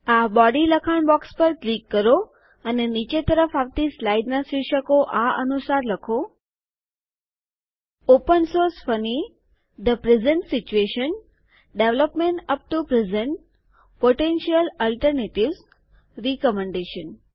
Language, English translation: Gujarati, Click on the Body text box and type the titles of the succeeding slides as follows: Open Source Funny The Present Situation Development up to present Potential Alternatives Recommendation Select the line of text Development up to present